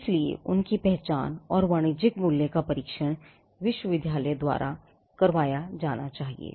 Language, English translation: Hindi, So, identifying them and testing the commercial value is something which needs to be done by the university